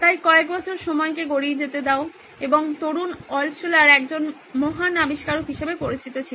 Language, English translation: Bengali, So about roll the clock few years and young Altshuller was known to be a great inventor